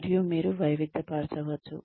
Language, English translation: Telugu, And maybe, you can diversify